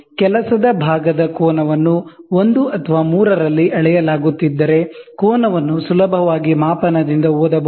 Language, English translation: Kannada, If the angle of a work part is being measured in 1 or 3, the angle can be readily it can be read directly from the scale